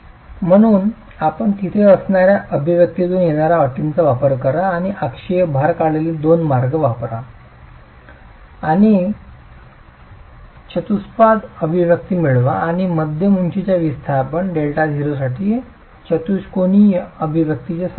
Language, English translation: Marathi, So you use the terms coming from p is equal to 36 by the expression that you see there and the two ways in which the axial load has been derived, use the two and get you get a quadratic expression and get the solution of the quadratic expression for mid hide displacement delta 0